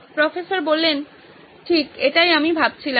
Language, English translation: Bengali, Right, that is what I was thinking